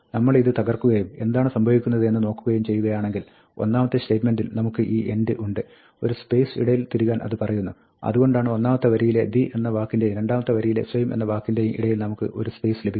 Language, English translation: Malayalam, If we break this up and see what happens here, we see that, in the first statement, we had this end, which says insert a space and this is why we get a space between the word ‘the’ on the first line and the word ‘same’ coming in the second line